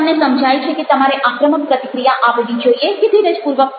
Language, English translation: Gujarati, you have realized about that whether you should react aggressively or patiently